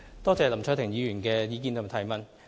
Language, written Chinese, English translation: Cantonese, 多謝林卓廷議員的意見及質詢。, I thank Mr LAM Cheuk - ting for his suggestions and question